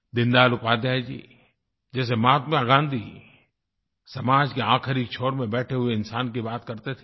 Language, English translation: Hindi, Like Gandhiji, Deen Dayal Upadhyayji also talked about the last person at the farthest fringes